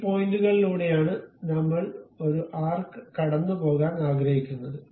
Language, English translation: Malayalam, These are the points through which we would like to pass an arc